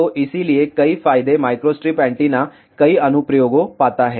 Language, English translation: Hindi, So, because of so, many advantages microstrip antenna finds several applications